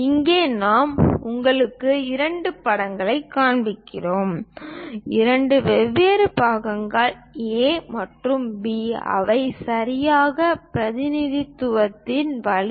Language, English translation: Tamil, Here, I am showing you two pictures, two different pictures A and B which one is correct way of representation